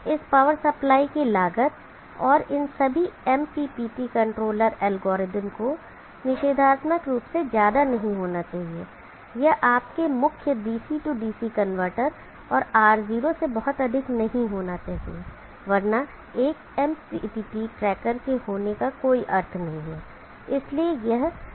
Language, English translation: Hindi, The cost of this power supply and all these MPPT controller algorithm should not be prohibitively high, should not be much higher than your main DC DC converter and R0